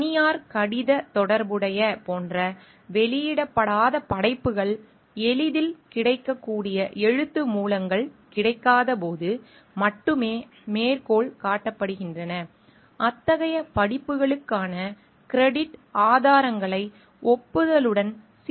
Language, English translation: Tamil, Unpublished work like private correspondence is only cited when no readily available written sources are available; credit sourcing for such courses can be better handled with acknowledgements